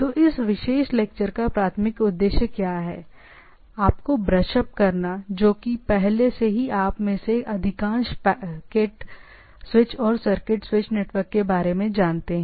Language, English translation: Hindi, So, what the primary objective of this particular lecture is to that to brush up that already most of you may be knowing that packet switch and circuit switched network